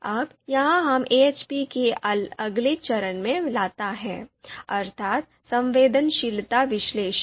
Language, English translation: Hindi, Now, this brings us to the next step of you know AHP, that is the fourth step, sensitivity analysis